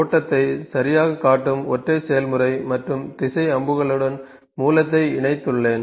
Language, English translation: Tamil, So, I have connected source to a single process and a direction is showing the, this direction arrows showing the flow ok